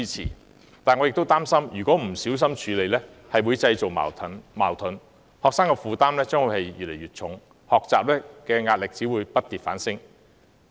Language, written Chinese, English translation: Cantonese, 然而，我亦擔心不小心處理將會製造矛盾，學生的負擔只會越來越重，學習壓力不跌反升。, However I worry that conflicts would arise if we do not handle it carefully . It will add to students burdens and the pressure of learning faced by them will not be reduced but will increase instead